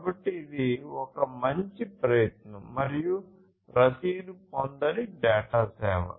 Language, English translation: Telugu, So, this is kind of a best effort and unacknowledged data service